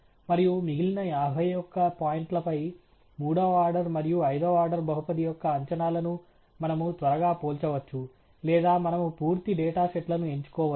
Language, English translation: Telugu, And we can quickly compare the predictions of the third order and fifth order polynomial on the remaining fifty one points or we can choose the full data sets